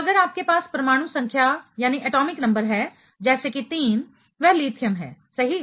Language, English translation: Hindi, So, if you have atomic number let us say 3 that is lithium right